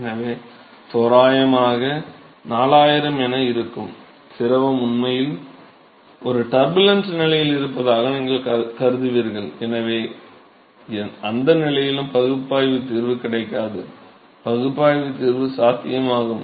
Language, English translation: Tamil, So, approximately 4000, you would consider that the fluid is actually in a turbulent regime, and so, in those condition also there is no analytical solution available, analytical solution possible